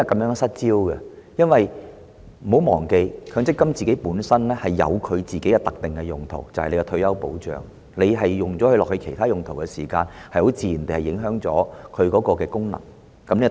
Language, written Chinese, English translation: Cantonese, 請不要忘記，強積金權益本身有其特定用途，就是作為退休保障，當它作其他用途時，自然會影響它的功能，此其一。, We should not forget that MPF was established for a specific purpose that is to offer retirement protection . If it is used for other purposes its original function will be affected . This is our first concern